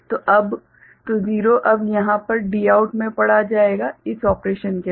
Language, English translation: Hindi, So, 0 will be read now at the Dout over here, after this operation ok